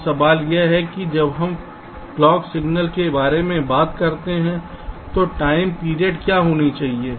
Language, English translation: Hindi, now the question is so, when we talk about the clock signal, so what should be the time period when the here a few things